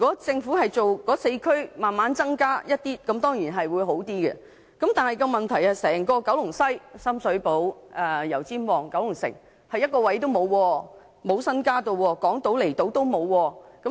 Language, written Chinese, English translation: Cantonese, 政府在那4區逐漸增加名額，這當然會較好，但問題是整個九龍西，包括深水埗、油尖旺和九龍城卻一個空位也沒有，亦沒有增加名額，連港島和離島的名額也沒有增加。, Of course it will be better for the Government to gradually increase the places in those four districts but the entire Kowloon West including Sham Shui Po Yau Tsim Mong and Kowloon City has no vacancy either nor additional places . Neither have Hong Kong Island and the outlying islands